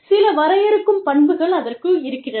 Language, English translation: Tamil, Some defining characteristics